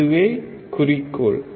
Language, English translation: Tamil, That is the goal